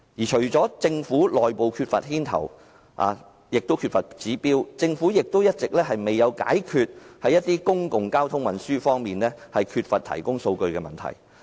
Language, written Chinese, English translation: Cantonese, 除了政府內部缺乏牽頭及指標外，政府亦一直未有解決在公共交通運輸方面缺乏數據提供的問題。, Apart from the lack of initiatives and indicators within the Government the Government has also all along failed to solve the problem of a lack of data on public transport